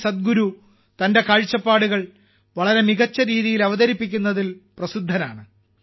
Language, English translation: Malayalam, Generally, Sadhguru ji is known for presenting his views in such a remarkable way